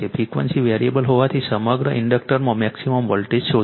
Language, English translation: Gujarati, Find the maximum voltage across the inductor as the frequency is varied